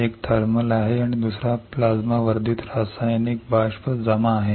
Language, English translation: Marathi, One is thermal and another one is plasma enhanced chemical vapour deposition